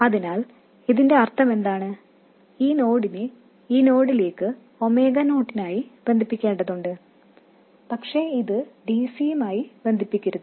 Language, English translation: Malayalam, This node here has to be connected to this node for omega 0, but it should not be connected for DC